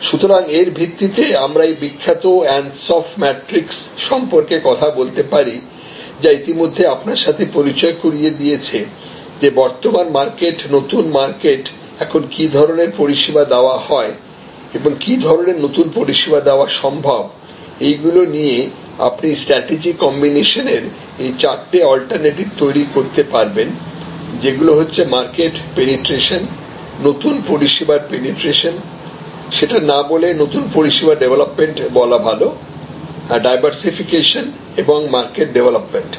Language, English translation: Bengali, So, based on this we can talk about this famous ansoff matrix which have already introduce to you earlier that if we take current market, present market, new market and presence services being offered and new services that are possible for offering you can develop this four alternative a strategy combinations, market penetration, new service penetration and new service development rather, I think you should write here new service development and diversification and market development